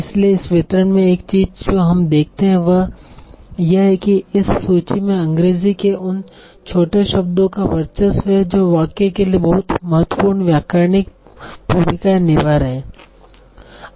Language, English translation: Hindi, So one thing that we see in this distribution is that this list is dominated by the little words of English that are having very important grammatical laws for the sentence